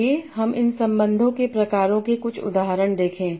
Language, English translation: Hindi, Let's see some example types of these relations